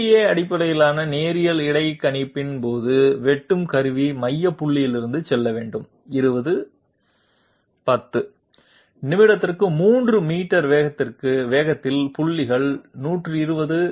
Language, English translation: Tamil, During DDA based linear interpolation, the cutting tool Centre has to move from point (20, 10) to the point (120, 60) at a speed of 3 meters per minute